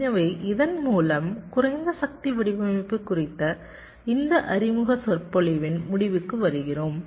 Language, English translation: Tamil, so with this we come to the end of this introductory, introductory lecture on low power design